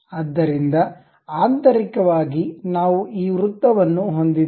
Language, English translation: Kannada, So, internally we have this circle